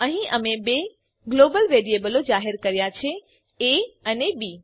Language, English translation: Gujarati, Here we have declared two global variables a and b